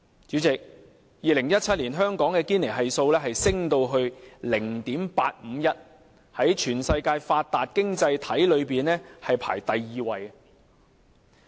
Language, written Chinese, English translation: Cantonese, 主席 ，2017 年香港的堅尼系數上升至 0.539， 在全世界發達經濟體中排行第二。, President the Gini Coefficient of Hong Kong rose to 0.539 in 2017 the second highest amongst the worlds developed economies